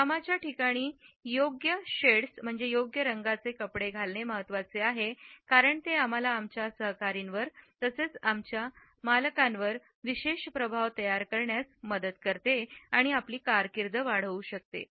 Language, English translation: Marathi, Different color psychologists have commented that wearing the right shades at workplace is important because it helps us in creating a particular impact on our colleagues as well as on our bosses and can enhance our career choices